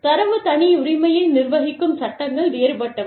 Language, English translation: Tamil, And, the laws governing data privacy, are different